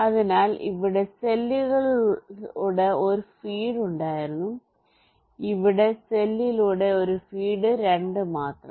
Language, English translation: Malayalam, so there was one feed through cell here, one feed through cell, here only two